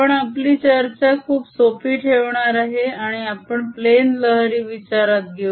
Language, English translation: Marathi, we are going to keep our discussion very simple and consider plane waves